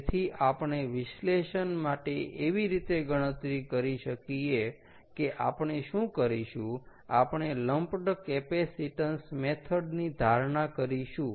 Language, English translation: Gujarati, so, for analysis, what we will do is assume lumped capacitance method